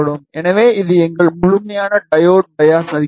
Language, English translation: Tamil, So, this is our complete diode bias circuit